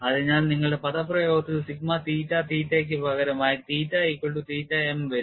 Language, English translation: Malayalam, So, that comes from substituting in your expression for sigma theta theta, theta equal to theta m